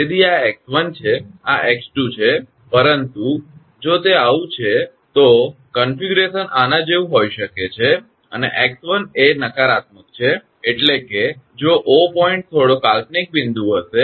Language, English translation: Gujarati, So, this is x 1 this is x 2, but if it happens like this, then configuration may be like this and x 1 is negative means, if O point will be some imaginary point right